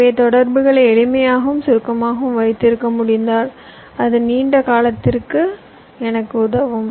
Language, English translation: Tamil, so if i can keep my interconnection simple and short, it will help me in the long run